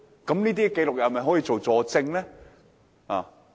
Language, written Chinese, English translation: Cantonese, 有關紀錄可否作為佐證呢？, Can the relevant records be admitted as corroborative evidence?